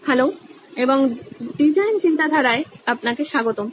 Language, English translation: Bengali, Hello and welcome back to design thinking